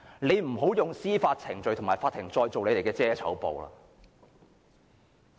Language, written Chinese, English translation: Cantonese, 請不要再用司法程序和法庭作為你們的遮醜布。, Please do not use legal proceedings or the court to cover up the shameful act any more